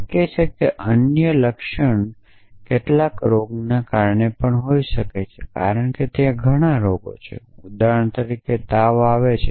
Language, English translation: Gujarati, It is possible that the symptom could have been due to some other disease as well essentially because there are many diseases for example, cause fever